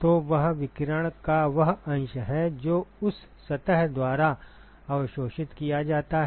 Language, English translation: Hindi, So, that is the fraction of radiation which is absorbed by that surface